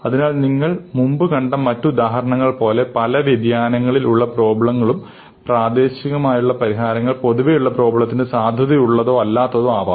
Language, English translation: Malayalam, So, like the other example you have seen before, there can be variations on the problem and the solution that you have for the original problem, may or may not be valid for these variations